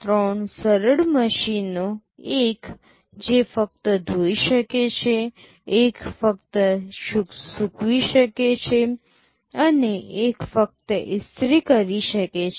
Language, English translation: Gujarati, Three simple machines one which can only wash, one can only dry, and one can only iron